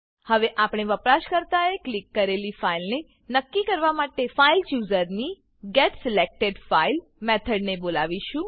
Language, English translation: Gujarati, We will now call the FileChoosers getSelectedFile() method to determine which file the user has clicked